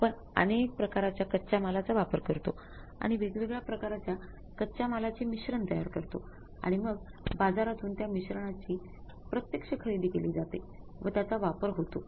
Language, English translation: Marathi, We use the multiple type of raw materials and we make a mix of the different types of the raw materials and then we go for the actual buying of that mix from the market and using that